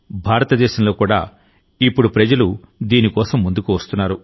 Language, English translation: Telugu, In India too, people are now coming forward for this